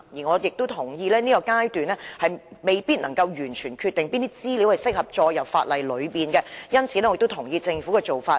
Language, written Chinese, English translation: Cantonese, 我同意現階段當局未必能夠完全決定哪些資料適合列入法例，因此我亦同意政府的做法。, I agree that at this stage the authorities may not be able to fully determine what information is suitable to be prescribed in the legislation . I therefore also agree with the Governments approach